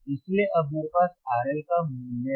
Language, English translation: Hindi, I can find the value of R L